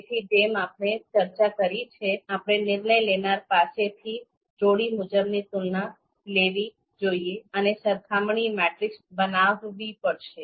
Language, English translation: Gujarati, So as we talked about, we need to get you know pairwise comparisons from decision maker, so we need to construct comparison matrix matrices